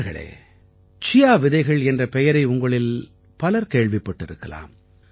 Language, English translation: Tamil, nowadays you must be hearing a lot, the name of Chia seeds